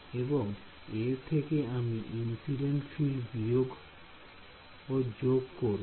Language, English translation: Bengali, So, I add and subtract incident field fine